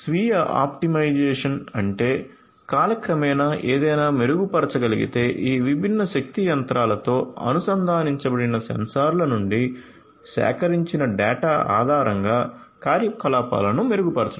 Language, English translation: Telugu, So, self optimized means like you know if something can be improved over time the operations could be improved based on the data that are collected, the data that are collected from the sensors that are integrate integrated to these different power machinery